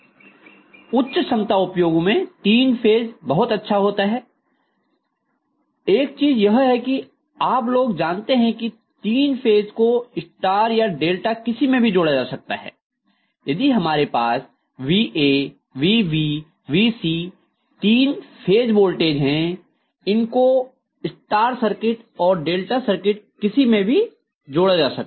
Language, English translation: Hindi, So three phase is really really good for high capacity applications, and one more thing is that I am sure you guys know that three phase can be connected either in star or delta, so if I have Va, Vb and Vc, all the three phases voltages they can be applied to either star connected circuit or delta connected circuit